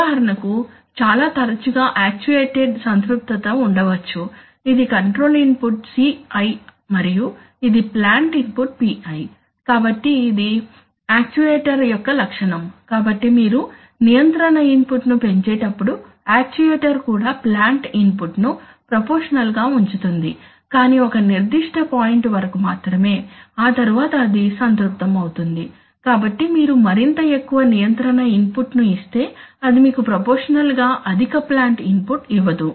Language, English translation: Telugu, For example, there can be very often, there can be actuated saturation, that is the characteristic of the, this is the control input CI and this is the plant input PI, so this is the actuator characteristic, so as you increase the control input the actuator will also proportionally include the plant input but only up to a certain point, after which it will saturate, so if you give more and more control input it will not give you proportionally high plant input